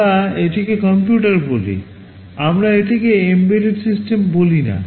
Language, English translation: Bengali, We call it a computer, we do not call it an embedded system